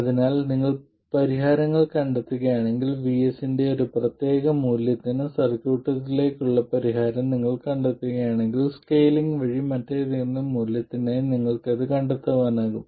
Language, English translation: Malayalam, So, if you find solutions, if you find the solution to the circuit for one particular value of VS, you can find it for any other value simply by scaling